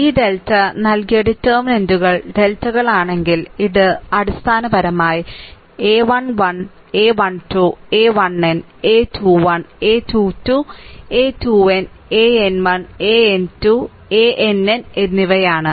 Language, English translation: Malayalam, Where the deltas are the determinants given by this delta is equal to your this determinant you find out this is a basically it is the a 1 1, a 1 2, a 1 n, a 2 1, a 2 2, a 2 n, and a n 1, a n 2, a n n